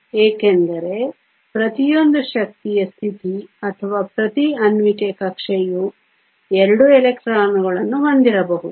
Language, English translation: Kannada, because each energy state or each molecular orbital we can have 2 electrons